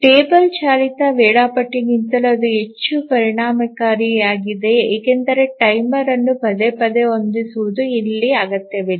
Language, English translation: Kannada, It is more efficient even than a table driven scheduler because repeatedly setting a timer is not required here